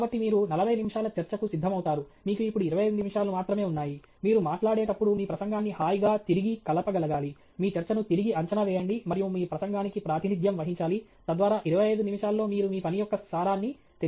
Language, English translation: Telugu, So, you prepare for 40 minute talk, you now only have 25 minutes; you should be able to comfortably reassemble your talk as you speak, reassess your talk, and represent your talk, so that in 25 minutes you have conveyed the essence of your work